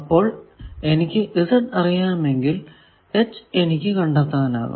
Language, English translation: Malayalam, So, if I know Z I can go to H also